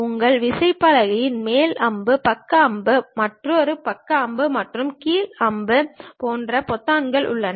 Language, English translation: Tamil, You use on your keypad there are buttons like up arrow, side arrow, another side arrow, and down arrow